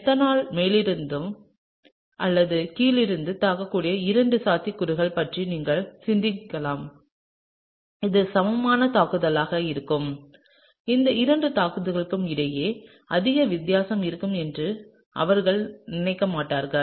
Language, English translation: Tamil, And here you can think about two possibilities that is the methanol can attack from the top or from the bottom, and this would be an equivalent attack; they would not think that there would be much difference between these two attacks